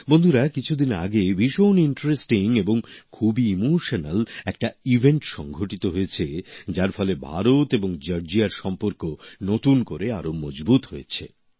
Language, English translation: Bengali, Friends, a few days back a very interesting and very emotional event occurred, which imparted new strength to IndiaGeorgia friendship